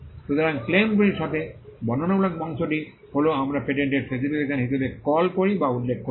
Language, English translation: Bengali, So, the descriptive part along with the claims is what we call or refer to as the patent specification